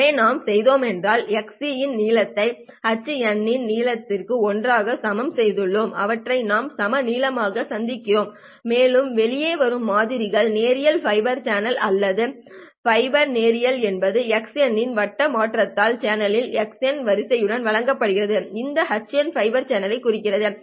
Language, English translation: Tamil, So what we have done is we have equated the length of xe of n and the length of h of n together in such a way that we have made them equal lengths and we have managed to show that the samples that are coming out of the linear fiber channel right or when the fiber is linear is given by the circular convolution of xe of n with the h of n sequence of the channel itself